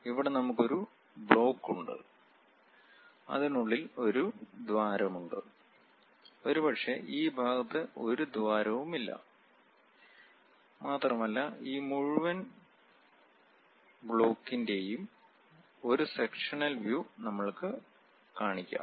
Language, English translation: Malayalam, Here we have a block, which is having a hole inside of that; perhaps there is no hole on this side and we will like to consider a sectional view of this entire block